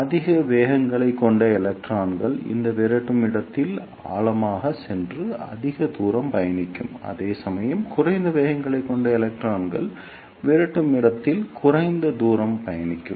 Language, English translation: Tamil, The electrons which has greater velocities will go deeper in this repeller space and travel more distance, whereas the electrons which has lesser velocities will travel less distance in the repeller space